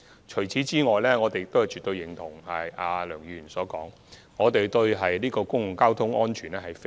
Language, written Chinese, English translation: Cantonese, 此外，我們絕對認同梁議員所說，我們十分關注公共交通安全。, Besides we certainly agree with Mr LEUNG on one point . We are very concerned about public transport safety